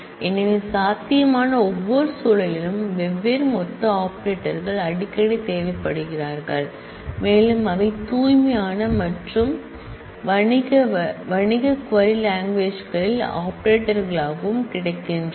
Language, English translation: Tamil, So, in every possible context different aggregate operators are frequently required and they are also available as operators in most of the pure as well as commercial query languages